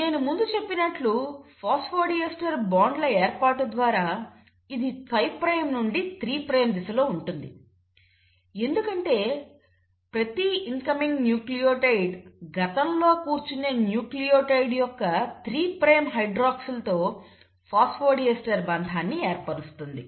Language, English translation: Telugu, And how do you decide the directionality as I just mentioned through the formation of phosphodiester bonds that it is in the direction of 5 prime to 3 prime because every incoming nucleotide will form a phosphodiester bond with the 3 prime hydroxyl of the previously sitting nucleotide